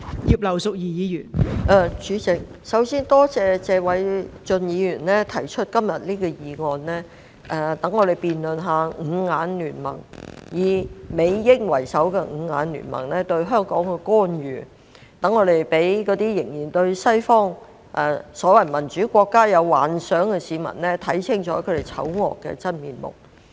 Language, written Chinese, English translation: Cantonese, 代理主席，首先多謝謝偉俊議員今天提出這項議案，讓我們辯論以美英為首的"五眼聯盟"對香港官員......讓那些仍然對西方所謂民主國家有幻想的市民，看清楚他們醜惡的真面目。, Deputy President first of all I would like to thank Mr Paul TSE for moving this motion today which gives us an opportunity to have a debate about the United States and Britain - led Five Eyes alliance targeting Hong Kong officials which gives the public an opportunity to see clearly the ugly true colours of the so - called Western democracies that they still fantasize about